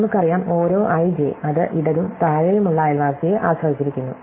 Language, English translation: Malayalam, So, it is, we know, that every (i,j) depends on, it is left and bottom neighbor